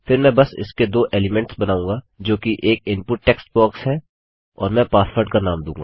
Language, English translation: Hindi, Next Ill just create two elements of this which is an input text box and Ill give the name of password